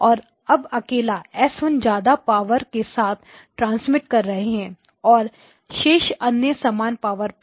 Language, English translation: Hindi, And then S1 alone you are transmitting with a lot of power